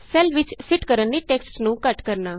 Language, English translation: Punjabi, Shrinking text to fit the cell